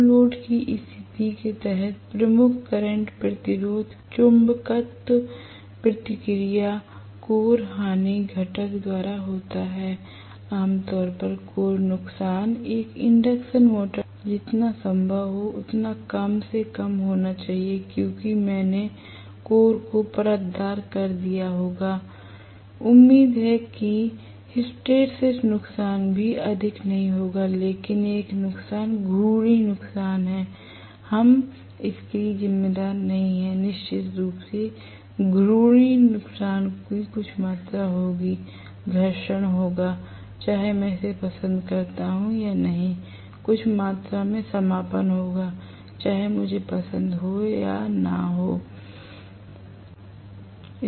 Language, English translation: Hindi, Under no load condition the major current drawn is by the magnetizing reactance core loss component of resistance, generally, core losses should be as minimum as possible in an induction motor because I would have laminated the core hopefully the hysteresis losses will also be not to high, but there is one loss which we cannot account for that is rotational losses, definitely there will be some amount of rotational loss, there will be friction, whether I like it or not, there will be some amount of windage whether I like it or not